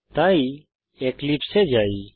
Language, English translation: Bengali, So switch to Eclipse